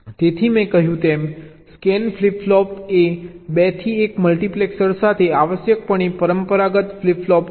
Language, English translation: Gujarati, so, as i said, a scan flip flop is essentially a conventional flip flop with a two to one multiplexer before it